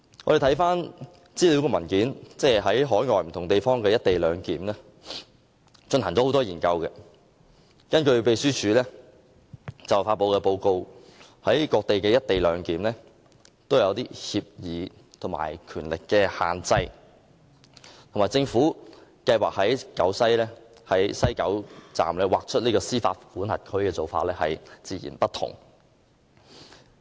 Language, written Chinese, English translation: Cantonese, 根據秘書處發表，有關就海外不同地方的"一地兩檢"安排進行若干研究的資料文件，在各地實施的"一地兩檢"安排均訂有某些協議和權力限制，與政府計劃在西九龍站劃出司法管轄區的做法截然不同。, As pointed out in a research paper of the Legislative Council Secretariat on the co - location arrangements in various overseas places such arrangements are all governed by certain agreements and restrictions of powers . They are totally unlike the Governments proposal of designating an area in the West Kowloon Station where the Mainland can exercise full jurisdiction